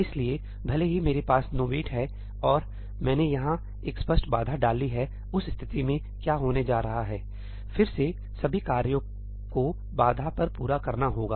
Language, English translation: Hindi, So, even if I have nowait and I have put an explicit barrier over here, in that case what is going to happen ñ again, all the tasks have to be completed on barrier